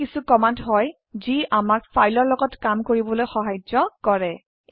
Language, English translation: Assamese, These were some of the commands that help us to work with files